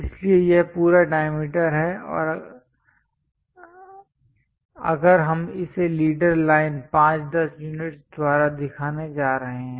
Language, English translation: Hindi, So, this entire diameter if we are going to show it by leader line 5 10 units